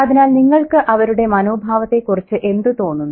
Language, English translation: Malayalam, So what do you think about their attitude